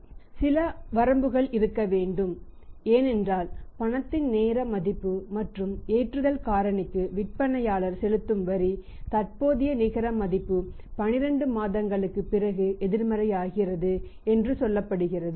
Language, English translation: Tamil, It has to have some limits because we have seen with certain calculations here that because of the time value of money and because of the say a tax the seller is paying on the loading factor also the net present value becomes a negative after 9 months sorry mat at 12 months